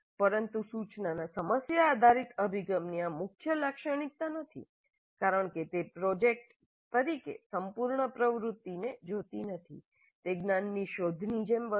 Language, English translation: Gujarati, But this is not a key feature of problem based approach to instruction because it doesn't look at the whole activity as a project